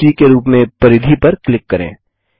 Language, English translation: Hindi, click on the circumference as point c